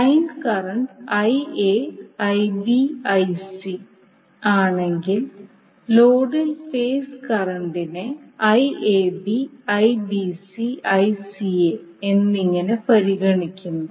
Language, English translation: Malayalam, So if the line current is Ia, Ib, Ic in the load we consider phase current as Iab, Ibc and Ica